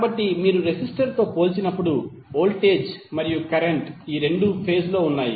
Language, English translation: Telugu, So when you compare with the resistor, where voltage and current both are in phase